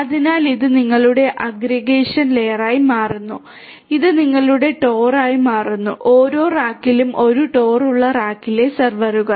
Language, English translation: Malayalam, So, this becomes your aggregation layer, this becomes your TOR so, servers in a rack each rack having a TOR